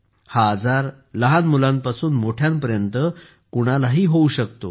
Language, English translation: Marathi, This disease can happen to anyone from children to elders